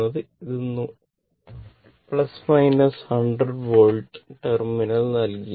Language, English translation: Malayalam, This is plus minus 100 volt terminal is given right